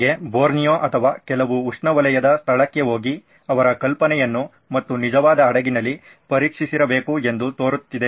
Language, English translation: Kannada, To me in hindsight looks like he should have gone to Borneo or some tropical place and tested his idea and on a real ship